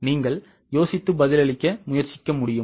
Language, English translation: Tamil, Can you just think and try to answer